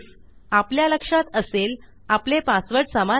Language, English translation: Marathi, now remember our passwords match..